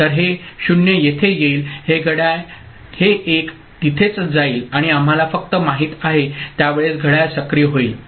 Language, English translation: Marathi, So, this 0 comes over here ok, this clock this 1 goes over there and we are just you know, activated the clock at that time